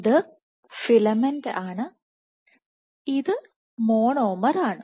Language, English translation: Malayalam, So, this is filament and this is monomer